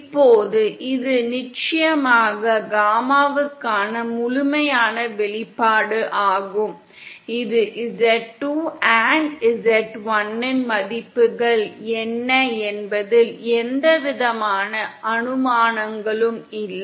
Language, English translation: Tamil, Now this is of course the complete expression for gamma in with no assumptions with what the values of z2 & z1 are